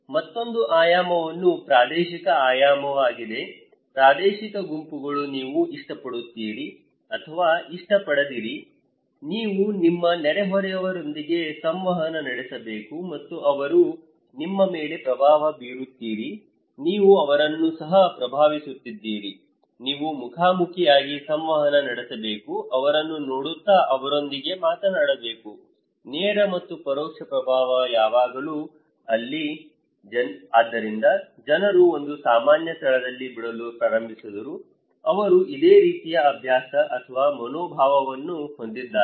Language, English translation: Kannada, Another dimension is the spatial dimension; spatial groups, you like or not like, you need to interact with your neighbours and they influencing you, you are also influencing them so, you need to you are interacting face to face, talking to them watching them so, direct and indirect influence always there, so people started to leave in one common place also, they have a similar kind of habit or attitude